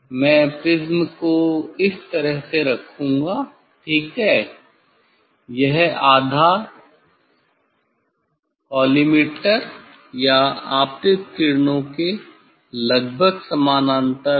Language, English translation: Hindi, I will put prism like this ok this base is almost parallel to the collimator or incident rays